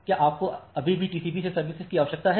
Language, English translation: Hindi, Do you still need the service from the TCP